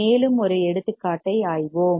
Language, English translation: Tamil, And we will think some examples